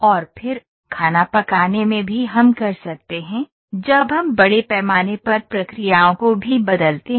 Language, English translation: Hindi, And again as as in manufacturing, in cooking also we can, when we scale up the processes also change